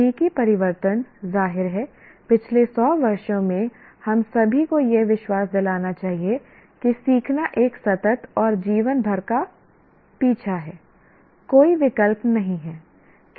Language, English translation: Hindi, The technological changes obviously in the last 100 years should convince all of us that learning is a continuous and lifelong pursuit